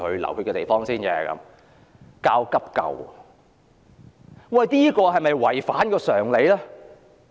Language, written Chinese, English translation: Cantonese, 利用熱線電話教急救是否有違反常理？, Is this against common sense to use the hotline to teach first aid?